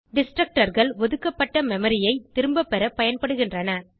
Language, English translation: Tamil, Destructors are used to deallocate memory